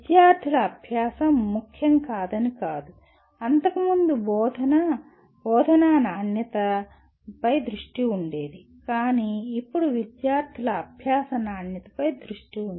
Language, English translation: Telugu, It is not that student learning was not important but the focus earlier was teaching, the quality of teaching but now the focus is quality of student learning